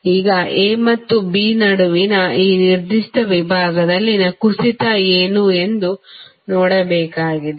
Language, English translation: Kannada, Now, we have to see what isthe drop in this particular segment that is between A and B